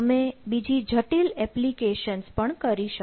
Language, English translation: Gujarati, you can do other complex applications if you one